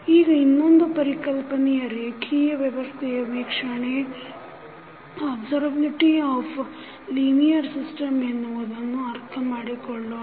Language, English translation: Kannada, Now, let us understand another concept called observability of the linear system